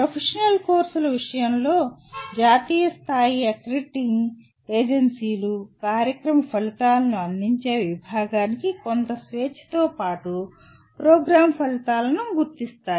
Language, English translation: Telugu, In the case of professional courses, the national level accrediting agencies identify the program outcomes with some freedom given to the department offering the programs